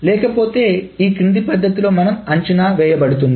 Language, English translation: Telugu, Otherwise, this is estimated in the following manner